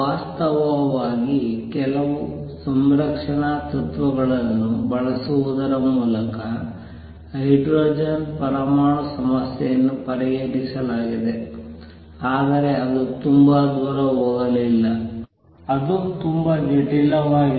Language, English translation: Kannada, In fact, the hydrogen atom problem was solved by probably using some conservation principles, but it did not go very far it became very complicated